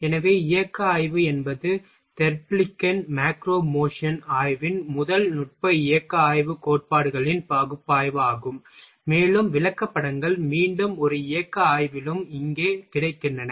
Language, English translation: Tamil, So, motion study is the first technique motion study principles analysis of Therblig’s macro motion study, and charts again charts is also available here for in a motion study also